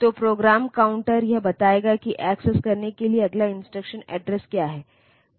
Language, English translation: Hindi, So, it will it will tell like what is the next instruction address to be accessed